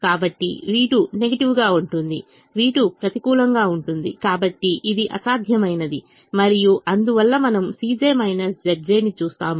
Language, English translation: Telugu, so v two is negative, v two is negative, therefore it is infeasible and therefore we look at c j minus z j